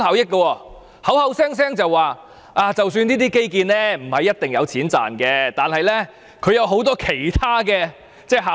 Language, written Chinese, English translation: Cantonese, 它只會口口聲聲說，即使這些基建不一定有錢賺，但也有很多其他效益。, It only claimed that these infrastructures would generate other benefits even if they do not generate any economic returns